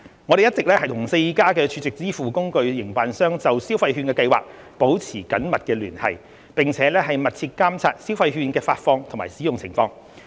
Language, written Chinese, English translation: Cantonese, 我們一直與4間儲值支付工具營辦商就消費券計劃保持緊密聯繫，並密切監察消費券的發放及使用情況。, We have been keeping close contact with the four SVF operators on the Scheme and are closely monitoring the disbursement and usage of the consumption vouchers